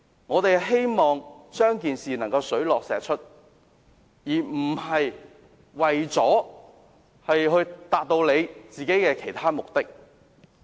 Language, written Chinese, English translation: Cantonese, 我們希望調查能令事件水落石出，而不是為了達到他們的其他目的。, In our view the purpose of an inquiry is to uncover the truth rather than to achieve the other motives of the opposition Members